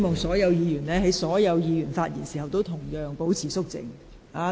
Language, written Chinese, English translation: Cantonese, 在議員發言時，請其他議員保持肅靜。, Will other Members please keep quiet while a Member is speaking